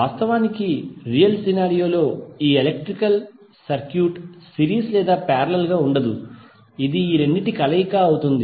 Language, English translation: Telugu, But actually in real scenario this electrical circuit will not be series or parallel, it will be combination of both